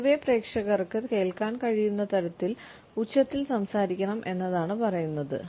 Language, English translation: Malayalam, In general, we can say that we should be loud enough so that the audience can hear us